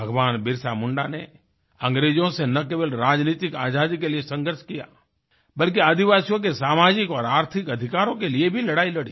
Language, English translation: Hindi, BhagwanBirsaMunda not only waged a struggle against the British for political freedom; he also actively fought for the social & economic rights of the tribal folk